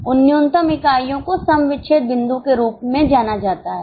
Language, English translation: Hindi, Those minimum units are known as break even point